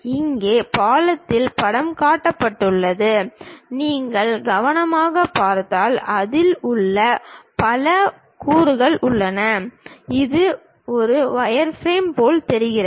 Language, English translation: Tamil, Here a picture of bridge is shown, if you look at carefully it contains many line elements, it looks like a wireframe